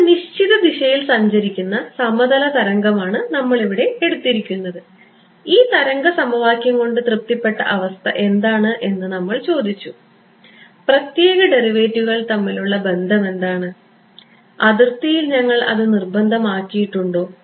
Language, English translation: Malayalam, We had taken we are taken up plane wave traveling in a certain direction and we had asked what is the condition satisfied by this wave equation, what was the relation between special derivatives and we had imposed that at the boundary